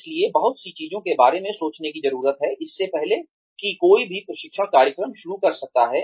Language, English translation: Hindi, So, a lot of things need to be thought about, before one can start delivering, the training program